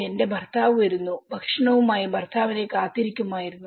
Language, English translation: Malayalam, my husband is coming and wait for the husband with food